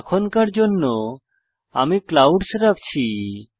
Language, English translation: Bengali, For now I am keeping the Clouds texture